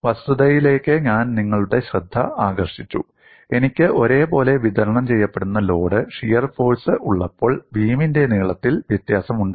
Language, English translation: Malayalam, I drew your attention to the fact, when I have a uniformly distributed load shear force varies along the length of the beam